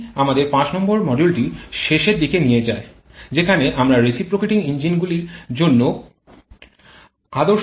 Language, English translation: Bengali, That takes us towards the end of our module number 5, where we have discussed about the idea cycle for reciprocating engines